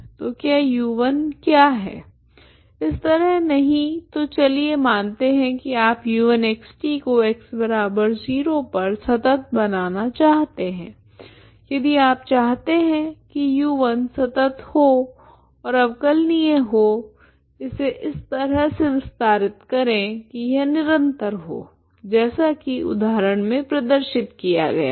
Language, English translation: Hindi, So what is this U1 at 0 minus T that is no, not like this so let us say, so you want to make U1 is U1 of X T is continuous at X equal to zero ok if you want U1 is continuous and is differentiable you want you extend it in such a way that is it is smooth ok start like the example like shown